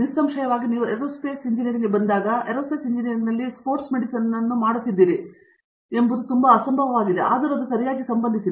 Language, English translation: Kannada, Obviously, when you come to Aerospace Engineering it is very unlikely that you will be actually doing sports medicine in Aerospace Engineering, although it is related okay